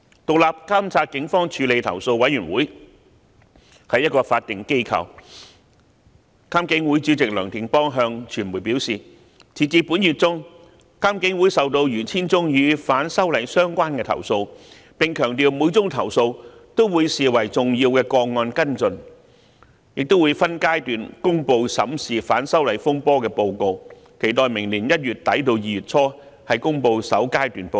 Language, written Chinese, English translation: Cantonese, 獨立監察警方處理投訴委員會是一個法定機構，監警會主席梁定邦向傳媒表示，截至本月中，監警會收到逾 1,000 宗與反修例運動相關的投訴，並強調會將每宗投訴視為重要個案跟進，亦會分階段公布審視反修例風波的報告，期待明年1月底至2月初公布首階段報告。, The Independent Police Complaints Council IPCC is a statutory authority . Dr Anthony NEOH Chairman of IPCC told the press that as at the middle of this month IPCC received over 1 000 complaints in relation to the movement of opposition to the proposed legislative amendments . He stressed that each complaint would be followed up as an important case and reports on reviewing the disturbances arising from the opposition to the proposed legislative amendments would be released by phases